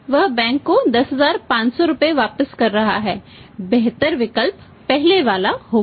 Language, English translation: Hindi, He is paying 10500 rupees back to the bank better option would have been formally remains